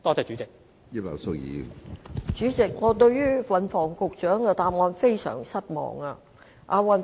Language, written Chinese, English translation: Cantonese, 主席，我對運輸及房屋局局長的答案非常失望。, President I am very disappointed with the answer of the Secretary for Transport and Housing